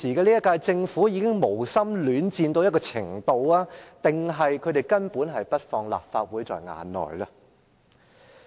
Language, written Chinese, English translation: Cantonese, 這屆政府是否已經無心戀戰，還是他們根本不把立法會放在眼內呢？, Is it because the current - term Government has already given up altogether? . Or is it because it simply does not attach any importance to the Legislative Council?